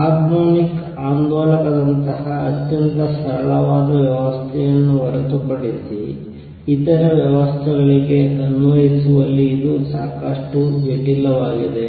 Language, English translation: Kannada, It becomes quite complicated in applying to systems other than very simple system like a harmonic oscillator